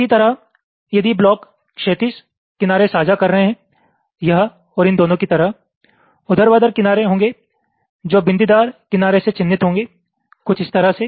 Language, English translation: Hindi, similarly, if the blocks are sharing horizontal edge, like this and these two, there will be vertical edge which will be marked by dotted edge, something like this